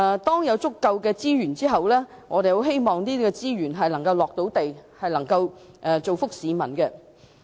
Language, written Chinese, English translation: Cantonese, 在有足夠資源後，我們希望資源能夠"着地"，造福市民。, After adequate resources are available we hope the resources can pragmatically benefit people